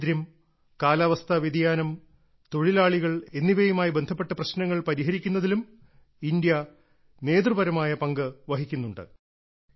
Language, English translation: Malayalam, India is also playing a leading role in addressing issues related to poverty alleviation, climate change and workers